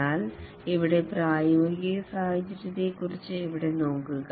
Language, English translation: Malayalam, But then look at here about the practical situation here